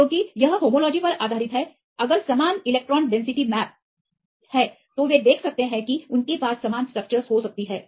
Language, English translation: Hindi, Because that is based on homology, if there are similar electron density maps, they can see that they may have similar structures